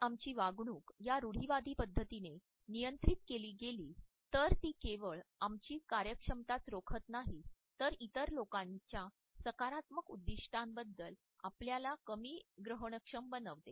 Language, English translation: Marathi, If our behavior is governed by these stereotypes then it not only inhibits our performance, but it also makes us less receptive as far as the other peoples positive intentions are concerned